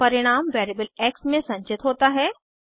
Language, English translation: Hindi, Then the result is stored in variable x